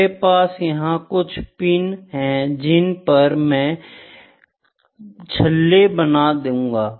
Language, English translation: Hindi, I can even have some pins here and keep putting rings over here, ok